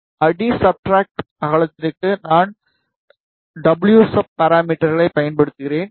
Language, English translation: Tamil, And for substrate width, I am using the parameter wsub